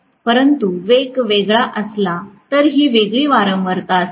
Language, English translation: Marathi, But it will be at a different frequency, if the speed is different